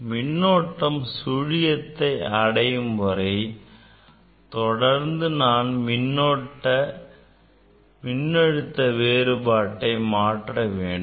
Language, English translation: Tamil, I have to make this current 0 and corresponding that voltage I have to find out